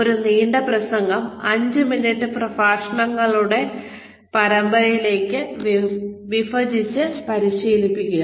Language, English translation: Malayalam, Break a long talk in to series of five minute talks, and practice